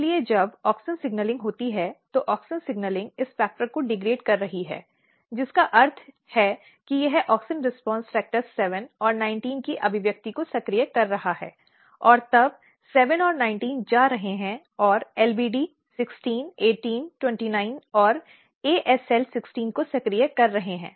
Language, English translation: Hindi, So, when there is auxin signalling auxin signalling is degrading this factor which means that it is activating expression of auxin response factor 7 and 19 and then 7 and 19 is going and activating LBD 16 18 29 and 16